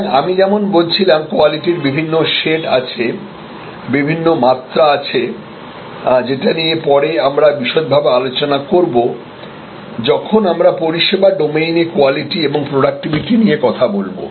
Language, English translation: Bengali, So, the quality perception as I was saying has the different shades, different dimensions we will discuss that in more detail later on when we discuss quality and productivity in the service domain